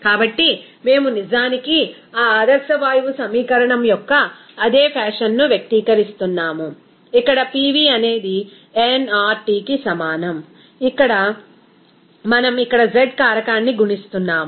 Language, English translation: Telugu, So, we are actually expressing the same fashion of that ideal gas equation, here PV is equal to nRT where we are just multiplying a factor z here